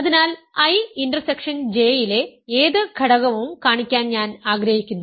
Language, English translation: Malayalam, Now, we are trying to show that I intersection J is contained in I J